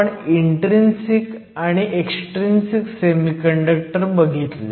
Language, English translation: Marathi, So, we have looked at intrinsic and extrinsic semiconductors